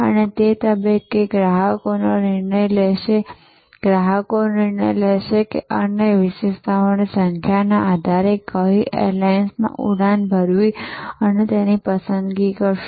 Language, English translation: Gujarati, And at that stage, customers will make the decision will make the choice, which airlines to fly based on number of other attributes